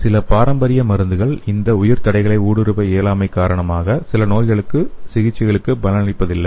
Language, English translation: Tamil, To realize the treatment of some diseases where the traditional drugs cannot reach because of the incapability to penetrate these bio barriers